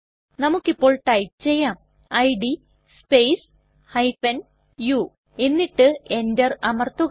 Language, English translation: Malayalam, Let us type the command, id space u and press enter